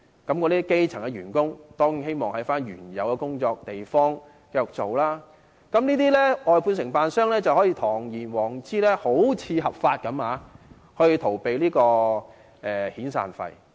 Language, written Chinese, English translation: Cantonese, 那些基層員工當然希望留在原來的地方繼續工作，於是這些外判承辦商便可堂而皇之，看似合法地逃避支付遣散費。, The grass - roots workers certainly wish to stay in the original places to work . So these contractors can overtly evade severance payments in a seemingly lawful way